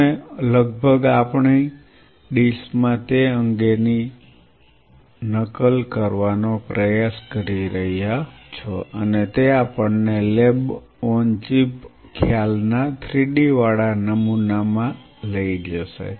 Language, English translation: Gujarati, You are almost trying to mimic that organ in our dish and that will take us to lab on a chip concept third point now three d and 3D pattern